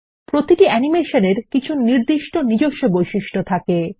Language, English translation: Bengali, Each animation comes with certain default properties